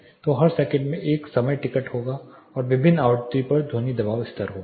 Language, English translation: Hindi, So, every second there will be a time stamp and there will be sound pressure level at different frequency